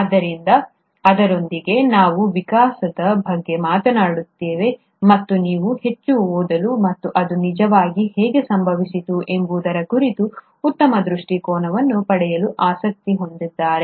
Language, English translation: Kannada, So with that, we have talked about evolution, and if you are interested to read more and get a better perspective on how it actually happened